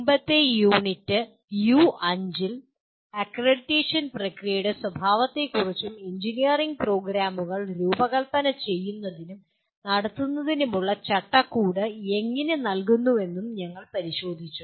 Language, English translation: Malayalam, In the previous unit U5, we looked at the nature of the accreditation process and how it provides the framework for designing and conducting engineering programs